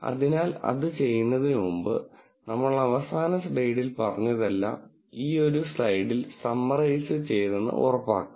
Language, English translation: Malayalam, So, before we do that let us make sure, that we summarize all that we said in the last slide in, in this one slide